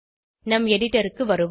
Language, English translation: Tamil, Lets switch back to our editor